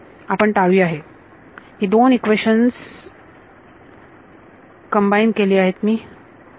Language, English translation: Marathi, So, avoid that I have combined these two all right